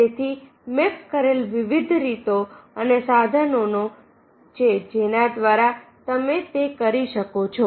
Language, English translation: Gujarati, there are various ways and tools you have mapped through which you can do it